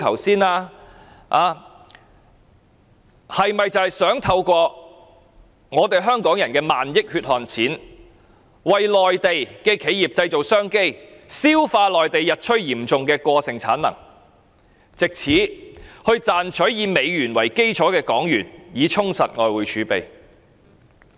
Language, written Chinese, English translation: Cantonese, 是否想透過香港人的萬億元血汗錢為內地的企業製造商機，消化內地日趨嚴重的過剩產能，藉此賺取以美元為基礎的港元，以充實外匯儲備？, Through spending 1,000 billion of hard - earned money from Hong Kong people does the Government wish to create business opportunities for the Mainland enterprises to digest the exacerbating overcapacity in the Mainland with a view to earning Hong Kong dollar which has United States dollar as the basis and maintaining adequate levels of foreign reserves?